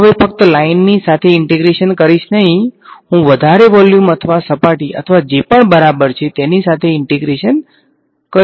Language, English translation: Gujarati, I will no longer integrate just along the line, I may integrate a longer a volume or a surface or whatever right